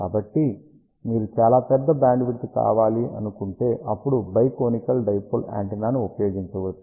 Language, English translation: Telugu, So, if you want to very large bandwidth, then Bi conical dipole antenna can be used